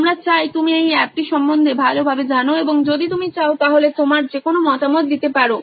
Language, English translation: Bengali, We would like you to go through this app and give any feedback if you can